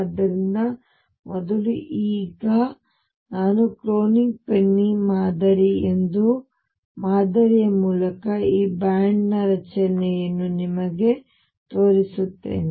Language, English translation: Kannada, So, first now let me show you the formation of this band through a model called the Kronig Penney Model